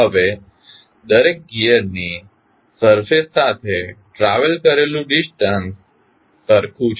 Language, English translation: Gujarati, Now, the distance travelled along the surface of each gear is same